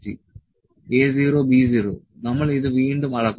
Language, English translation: Malayalam, A 0, B 0 we measure it again